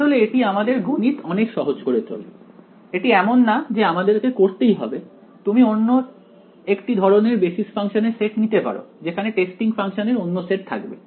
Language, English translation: Bengali, It makes the math somewhat easier its not necessary that you have to do this, you can choose a different set of basis function where different set of testing functions